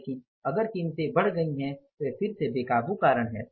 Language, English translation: Hindi, But if the prices have gone up is again the uncontrollable reason